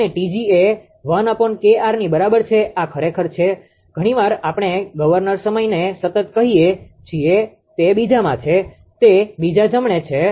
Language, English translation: Gujarati, And T g I told you T g equal to 1 upon KR this is actually sometimes we call governor time constant right it is in second it is in second right